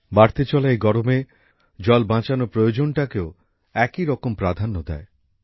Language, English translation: Bengali, This rising heat equally increases our responsibility to save water